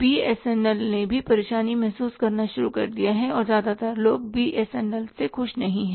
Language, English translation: Hindi, BSNL itself has started feeling the heat and most of the people are not happy with the BSNL